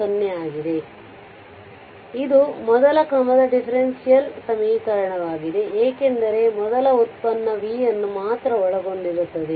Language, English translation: Kannada, So, this is a first order differential equation, since only the first derivative of v is involved